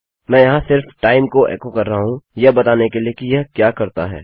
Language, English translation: Hindi, Im just echoing out the time here just to show you what it does